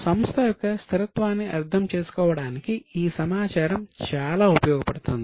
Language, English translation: Telugu, This information is useful to understand the stability of the company